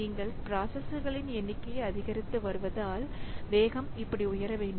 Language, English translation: Tamil, So, as you are increasing number of processors, then the speed up should grow like this